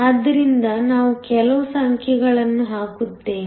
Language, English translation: Kannada, So, let me just put down some numbers